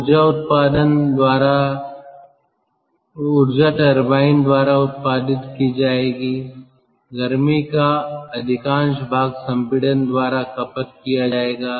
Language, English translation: Hindi, the energy which will be produced by the turbine, much of it will be consumed by the compression